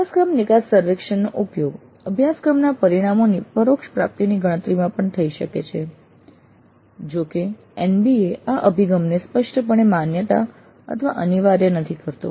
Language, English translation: Gujarati, And the course exit survey may also be used in computing indirect attainment of course outcomes though NB itself does not explicitly recognize or mandate this approach